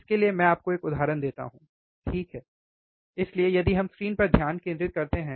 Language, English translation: Hindi, So, for that let me give you an example, all right so, if we focus on screen